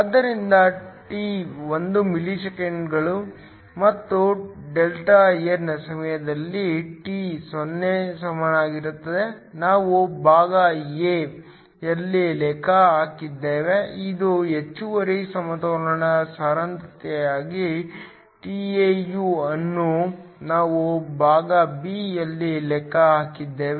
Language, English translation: Kannada, So, t is 1 millisecond, Δn at time t equal to 0 is what we calculated in part a, which is the excess equilibrium concentration tau is what we calculated in part b